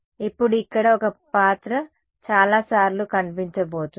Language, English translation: Telugu, Now, this character over here is going to appear many times